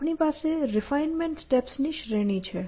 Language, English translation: Gujarati, We have a series of refinements steps